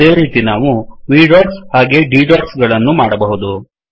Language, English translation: Kannada, Similarly it is possible to create V dots as well as D dots